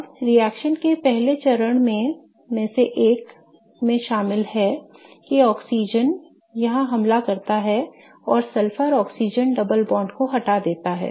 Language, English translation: Hindi, Now, one of the steps, the first steps of the reaction involves such that the oxygen attacks here and kicks open the sulfur oxygen double bond